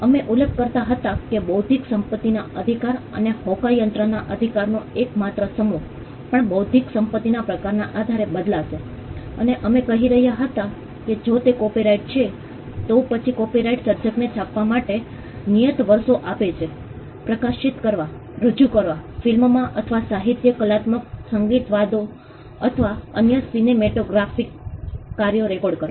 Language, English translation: Gujarati, We were mentioning that the exclusive set of rights that an intellectual property right and compasses would also vary depending on the kind of intellectual property right and we were saying that if it is a copyright, then the copyright gives the creator fixed number of years to print, to publish, to perform, to film or to record literary artistic musical or other cinematographic works